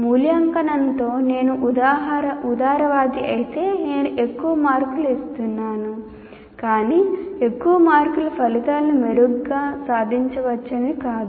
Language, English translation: Telugu, If I am strict or liberal with that, I am giving more marks, but more marks doesn't mean that I have attained my outcome